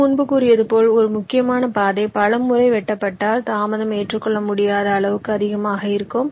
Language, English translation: Tamil, ok, so, as i said earlier, if a critical path gets cut many times, the delay can be an unacceptably high